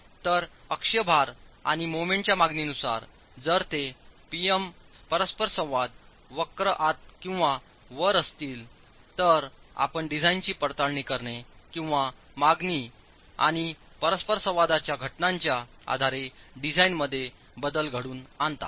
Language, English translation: Marathi, So, depending on the demand in terms of the axle load and moment, if it were to be lying within or on the PM interaction curve, you look at verifying the design or altering the design based on the comparison between demand and the interaction curves itself